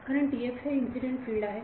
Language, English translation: Marathi, Because TF is the incident field